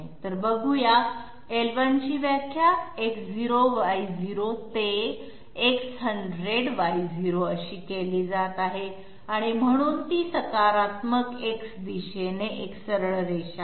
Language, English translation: Marathi, So let s see, L1 is being defined to be so starting from X0Y0 to X100Y0, so it is a straight line along the positive X direction